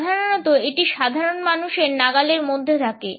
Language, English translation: Bengali, Normally it is within reach of common man